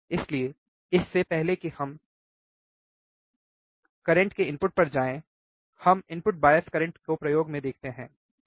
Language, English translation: Hindi, So, before we go to input of sir current, let us see the input bias current in terms of the experiment alright